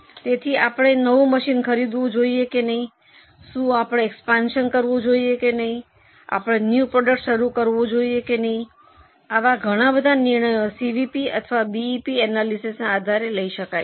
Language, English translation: Gujarati, So, whether we should go for new machine or no, whether we should go for expansion or no, whether a new product can be launched or no, many of such decisions can be well taken based on CVP or BP analysis